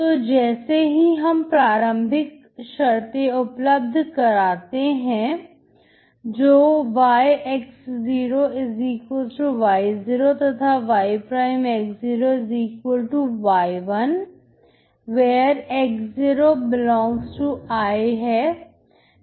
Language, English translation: Hindi, So and you provide the initial conditions, that is y =y 0, and y ' =y1, wherex0 ∈ I